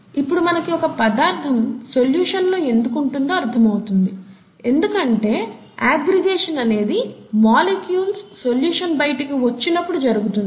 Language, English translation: Telugu, Now that, now that we understand why something is in solution, aggregation happens when molecules fall out of solution, okay